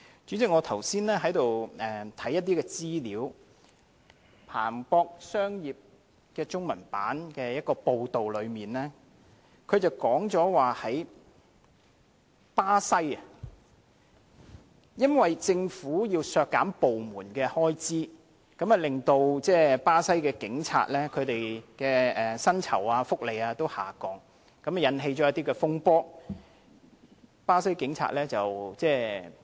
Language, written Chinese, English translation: Cantonese, 主席，我剛才看過《彭博商業周刊》中文版的一篇報道，據報巴西政府因為要削減政府部門開支，以致巴西警察薪酬和福利均下降，引起巴西警察罷工的風波。, Chairman I have just read an article in the Bloomberg Businessweek China . It is reported that as the Brazilian Government intended to cut government expenses the salaries and fringe benefits of Brazilian police officers were also reduced and this resulted in a general strike of the Brazilian police